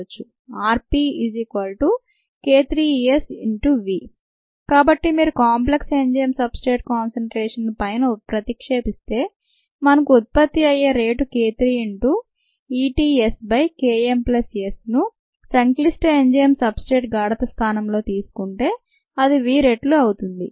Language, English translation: Telugu, so if you substitute the enzyme substrate complex concentration from above, we get the rate of product formation is k three into e t s by k m plus s in the place of enzyme substrate complex concentration times v and ah